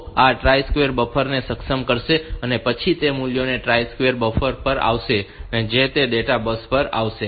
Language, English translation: Gujarati, So, this will enable the tri state buffers and then the values that will come on the tri state buffer which is